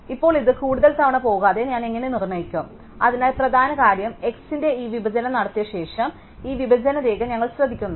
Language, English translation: Malayalam, Now, how do I determine that without going over this too many times, so the key is that having done this split of x, we note this dividing line